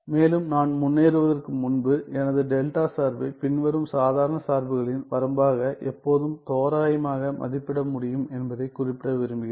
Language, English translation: Tamil, And, before I move ahead I want to mention that I can always approximate my delta function as a limit of the following ordinary functions